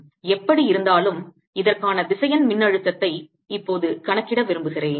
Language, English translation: Tamil, in any case, i want to now calculate the vector potential for this